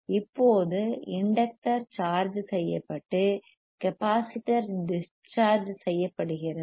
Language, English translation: Tamil, Now, the inductor is charged and capacitor is discharged